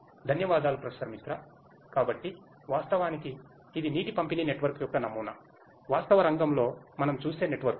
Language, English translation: Telugu, Thank you Professor Misra, So, actually this is a prototype of a water distribution network, the kind of networks that we see in the real field